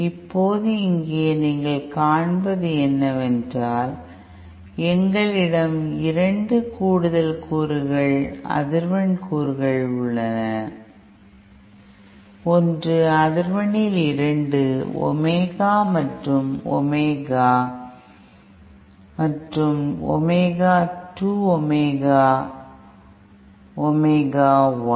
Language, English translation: Tamil, Now, what you see here is now that we have 2 additional components frequency components, one is at a frequency 2 Omega Omega and other at 2 Omega 2 Omega 1